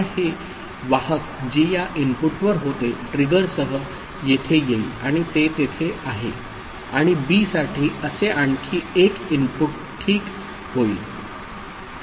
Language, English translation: Marathi, Now this carry which was at this input with the trigger will come over here and it is there and for B another such input will come ok